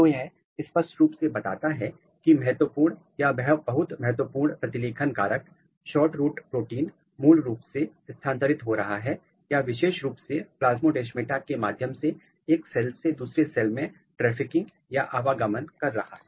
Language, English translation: Hindi, So, this clearly tell that the critical or very important transcription factor, SHORTROOT protein is basically getting move or getting trafficked or getting transfer from one cell to another cell specifically through plasmodesmata